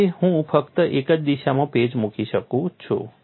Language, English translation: Gujarati, So, I can put patch only on one direction